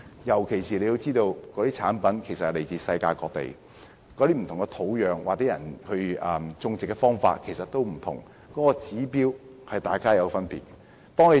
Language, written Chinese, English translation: Cantonese, 尤其是中藥材來自世界各地，其種植土壤或種植方法也不同，各地的指標也有別。, The soil or methods of planting are different and the standards in various places also vary